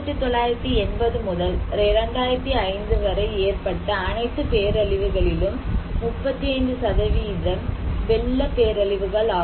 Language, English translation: Tamil, 35% of the all disasters are from 1980 to 2005 are flood disasters